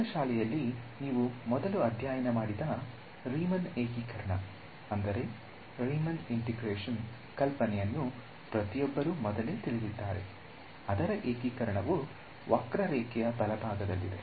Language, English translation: Kannada, So, everyone knows intuitively the idea of Riemann integration that you studied earlier in high school probably, its integration is area under the curve right